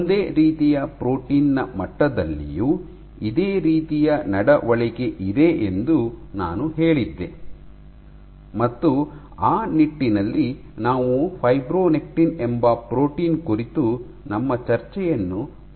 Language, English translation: Kannada, And then I said that similar behaviour also exists at the level of a single protein and in that regard, we started our discussion on this protein called fibronectin right